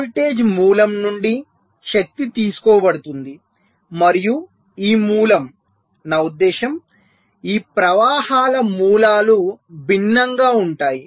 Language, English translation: Telugu, so power is drawn from the voltage source, and this source, i mean sources of these currents can be various